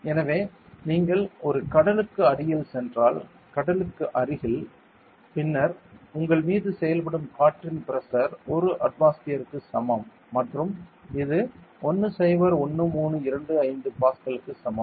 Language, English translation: Tamil, So, if you are going near a sea; near a sea and then the pressure of air acting on you is equal to 1 atmosphere and is equal to 101325 Pascal ok